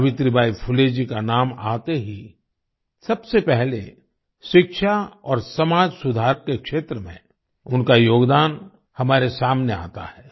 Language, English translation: Hindi, As soon as the name of Savitribai Phule ji is mentioned, the first thing that strikes us is her contribution in the field of education and social reform